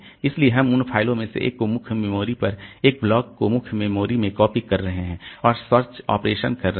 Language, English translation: Hindi, So, we are just copying one of those files onto main memory, one of those blocks into main memory and getting the, doing the search operation